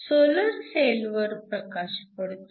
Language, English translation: Marathi, So, light falls on the solar cell